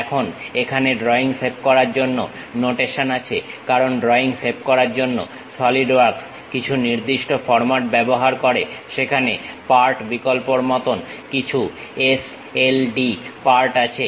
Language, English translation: Bengali, Now, the notation here for saving drawings is because Solidworks use a specialized format for saving drawings, there is something like Part option sld part